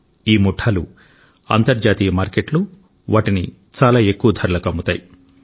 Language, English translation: Telugu, These gangs sell them at a very high price in the international market